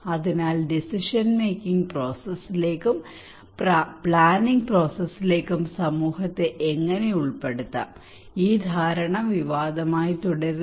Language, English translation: Malayalam, So how to involve the community into the process into the decision making process, into the planning process, this understanding remains controversial